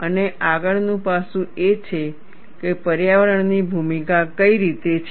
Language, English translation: Gujarati, And the next aspect is, in what way the environment has a role